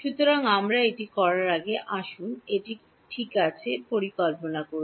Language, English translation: Bengali, So, before we do this let us just plan it ok